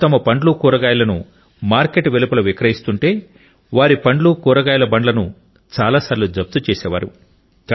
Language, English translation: Telugu, If he used to sell his fruits and vegetables outside the mandi, then, many a times his produce and carts would get confiscated